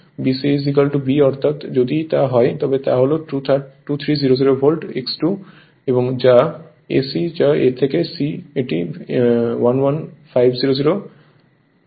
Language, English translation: Bengali, BC is equal to your B that is if it is so it is 2300 volt V 2 and AC that is A to C it is 11500 volt right